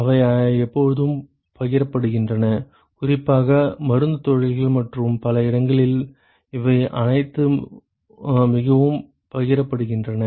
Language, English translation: Tamil, They are always shared, particularly in Pharma industries and many other places it is all very shared